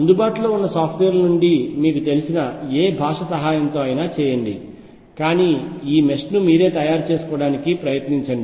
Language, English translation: Telugu, Take whatever help you have from available softwares whatever language you know, but try to make this mesh yourself